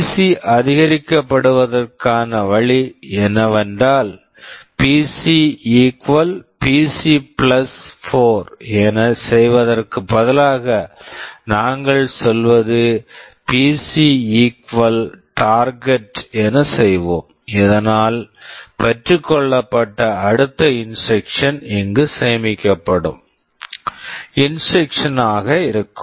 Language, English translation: Tamil, The way PC will be incremented is that instead of doing PC = PC + 4, what we are saying is that we will be doing PC = Target, so that the next instruction that will be fetched will be this instruction which is stored here